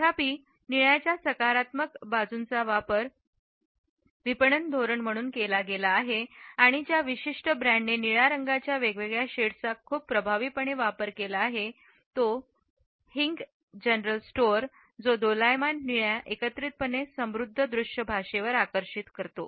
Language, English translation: Marathi, However the positive aspects of blue have been used as marketing strategy and a particular brand which has used different shades of blue very effectively is the one of Wo Hing general store which draws on the rich visual language that combines vibrant blue with light blue